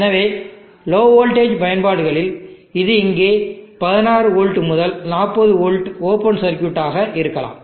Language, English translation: Tamil, So in low voltage applications this here may be around 60v to 40v open circuit